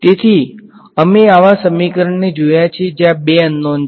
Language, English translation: Gujarati, So, we have encountered such equations where there are two unknowns